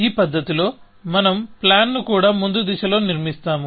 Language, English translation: Telugu, In this manner, we construct the plan also, in a forward direction